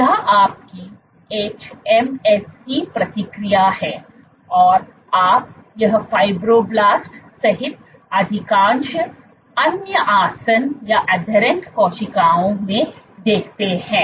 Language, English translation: Hindi, So, this is your hMSC response, but you see in most other adherent cells including fibroblast